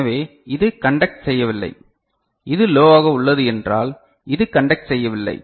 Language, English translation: Tamil, So, this is not conducting and this is low means this is not conducting